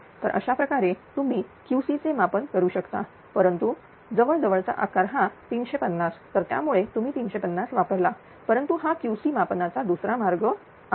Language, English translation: Marathi, So, this is the way that you can calculate Q c, but nearest site is 350 so that is why 350 you have use, but this is another way of computing Q c